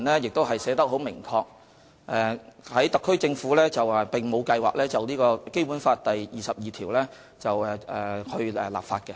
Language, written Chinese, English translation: Cantonese, 就特區政府來說，特區政府並沒有計劃就《基本法》第二十二條立法。, The SAR Government has no plan to enact legislation to implement Article 22 of the Basic Law